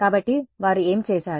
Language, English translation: Telugu, So, what have they done